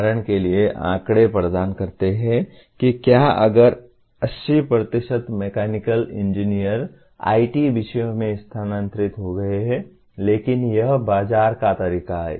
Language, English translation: Hindi, For example that provide statistics whether the, if 80% of the mechanical engineers have shifted to IT disciplines, but that is the way the market is